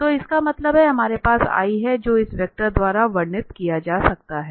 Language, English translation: Hindi, So, that means, we have this i so which can be again described by this vector